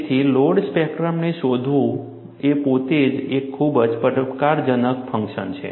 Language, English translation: Gujarati, So, finding out the load spectrum itself, is a very challenging task